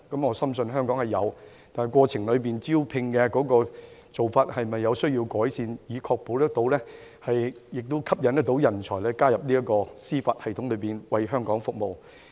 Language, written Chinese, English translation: Cantonese, 我深信香港有人才，但招聘的過程和做法是否需要改善，以確保可以吸引人才加入司法機構，為香港服務？, I strongly believe that there are; but is there a need to improve the process and methods of recruitment to ensure that talents will be attracted to join the Judiciary and serve Hong Kong?